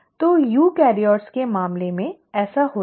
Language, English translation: Hindi, So this happens in case of eukaryotes